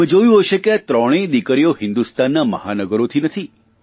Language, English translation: Gujarati, You must have noticed that all these three daughters do not hail from metro cities of India